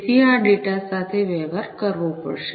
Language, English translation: Gujarati, So, this data will have to be dealt with